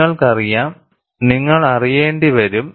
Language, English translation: Malayalam, You know, you will have to know